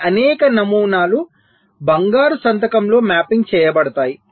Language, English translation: Telugu, so these many patterns will also be mapping into the golden signature